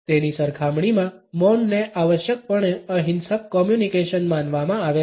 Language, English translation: Gujarati, In comparison to that silence is necessarily considered as a non violent communication